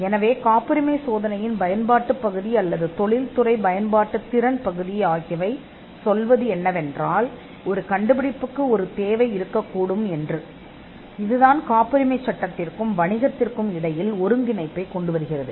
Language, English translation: Tamil, So, the utility part, or the capable of industrial application part of the patentability test is, what tells us that an invention could have a demand, and it brings the connect between patent law and business